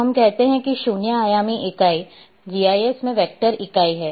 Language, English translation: Hindi, So, we say zero dimensional entity,vector entity in GIS